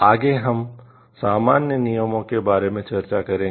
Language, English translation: Hindi, Next we will discuss about the common rules